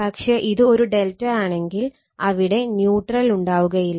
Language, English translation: Malayalam, But, if it is a delta, there will be no neutral